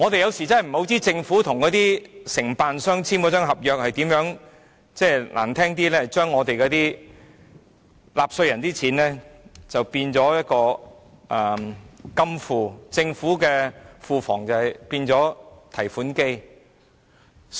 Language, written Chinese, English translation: Cantonese, 有時候真的不知道政府與承辦商簽訂了怎樣的合約，說得難聽一點，是把納稅人的金錢看作金庫，政府的庫房則變為提款機。, Sometimes I really do not know what kind of contract the Government has signed with its contractors . To put it bluntly the contractors may simply regard taxpayers money as their bank vaults and the Treasury as their automatic teller machines